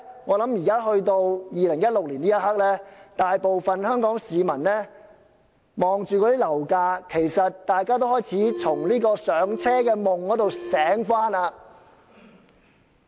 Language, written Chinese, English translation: Cantonese, 我相信在2016年的這一刻，大部分香港市民看到樓價，已開始從"上車"的夢中醒過來。, I believe that at this very moment in 2016 most people have in seeing the property prices woken up from the dream of home ownership